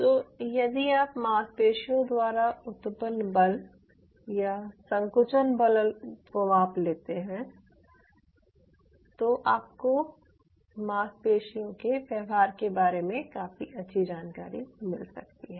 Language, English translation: Hindi, so if you could measure the force or contractile force generated by the muscle, then you could have a fairly good idea about how the muscle will behave